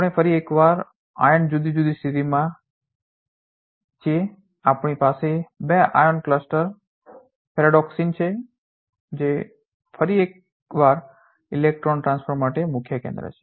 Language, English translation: Gujarati, We are once again iron are in different state we have two iron cluster ferredoxin which is once again a key center for electron transfer